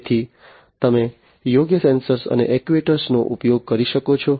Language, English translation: Gujarati, So, throughout you can use the suitable sensors and actuators, ok